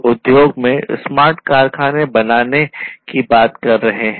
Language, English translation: Hindi, People are talking about making smart factories in the industries